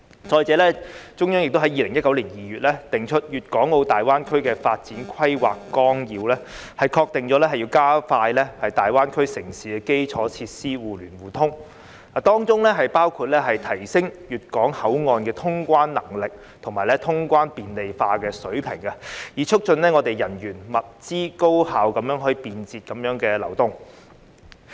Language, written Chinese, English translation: Cantonese, 再者，中央亦在2019年2月訂出《粵港澳大灣區發展規劃綱要》，確定要加快大灣區城市的基礎設施互聯互通，當中包括提升粵港澳口岸的通關能力和通關便利化的水平，以促進人員、物資高效便捷地流動。, Furthermore in February 2019 the Central Government promulgated the Outline Development Plan for the Guangdong - Hong Kong - Macao Greater Bay Area ascertaining the goal of expediting infrastructural connectivity among cities in the Greater Bay Area which includes enhancing the handling capacity and level of clearance facilitation of the control points in the Greater Bay Area with a view to promoting the efficient and convenient flow of people and goods